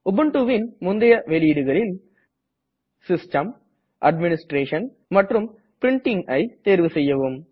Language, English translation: Tamil, In older versions of Ubuntu, click on System Administration and Printing